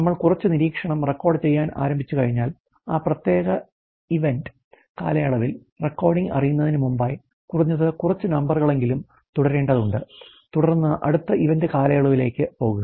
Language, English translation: Malayalam, And the idea is once you started recording something some observation it has to go on for at least a few numbers before you know short of stop recording on that particular event period ok and then go for the next event period